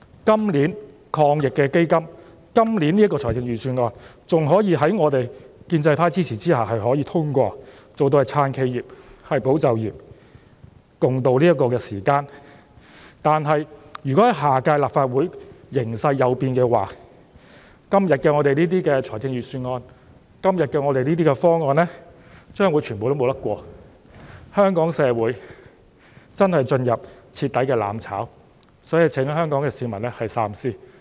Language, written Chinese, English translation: Cantonese, 今年的防疫抗疫基金和預算案還可以在我們建制派支持之下通過，做到"撐企業，保就業"，共渡時艱，但如果下屆立法會形勢有變，今天的預算案和方案將全部無法通過，香港社會便真的進入徹底"攬炒"，所以請香港市民三思。, This year AEF and the Budget can still be passed with the support of us in the pro - establishment camp thus enabling us to provide support for enterprises and safeguard jobs in an effort to ride out the difficulties with the people . But if there would be changes in the situation of the Legislative Council in the next term and all the Budgets and proposals like those under discussion today would not be passed Hong Kong society would really be doomed to mutual destruction thoroughly . Therefore I urge the people of Hong Kong to think twice